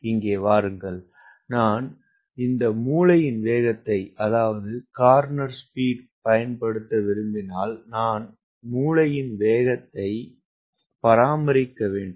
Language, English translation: Tamil, come here: if i want to take advantage of corner speed then i need to maintain the corner speed